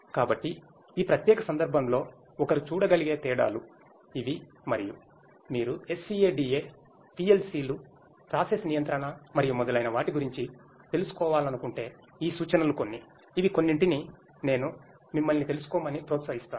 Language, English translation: Telugu, So, these are the differences that one could go through in this particular context and these are some of these references if you are interested to know about SCADA, PLCs you know process control and so on; these are some of the ones that you know I would encourage you to go through